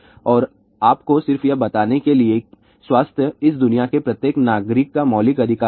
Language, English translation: Hindi, And just to tell you health is fundamental right of every citizen of this world